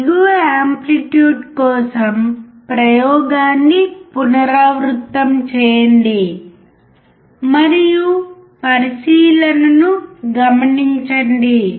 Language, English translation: Telugu, Repeat the experiment for higher and lower amplitudes, and note down the observation